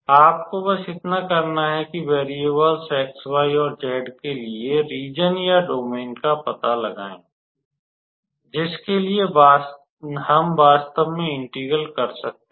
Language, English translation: Hindi, All you have to do is to find out the region or the domain for the variables x, y, and z for which we can do the v integral actually